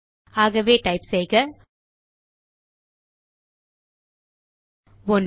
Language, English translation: Tamil, So we will type 1